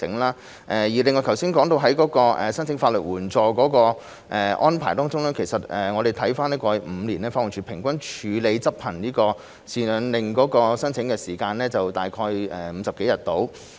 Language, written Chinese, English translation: Cantonese, 另外，剛才提到申請法律援助的安排中，我們翻看過去5年，法援署平均處理執行贍養令申請的時間大約為50多天。, In addition as regards the arrangements for legal aid applications mentioned just now we have learned that it took an average of 50 - odd days for LAD to process an application for enforcing a maintenance order over the past five years